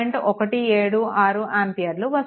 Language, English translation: Telugu, 176 ampere things are easy